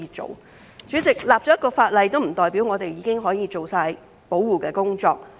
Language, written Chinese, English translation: Cantonese, 代理主席，制定一項法例，並不代表我們已經可以做足保護工作。, Deputy President the enactment of a piece of legislation does not mean that we have fulfilled our duties to offer adequate protection